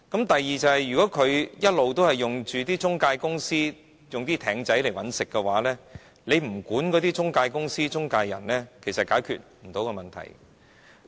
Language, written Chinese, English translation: Cantonese, 第二，如果放債人一直透過中介公司和"艇仔"找生意的話，不規管中介公司、中介人是解決不到問題的。, Secondly if money lenders keep looking for clients through intermediaries the problems cannot be solved without regulating agencies and intermediaries